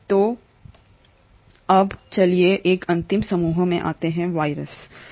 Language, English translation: Hindi, So then let us come to one last group which is the viruses